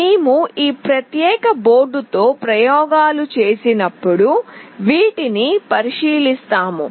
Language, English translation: Telugu, We will be looking into these when we perform experiment with this particular board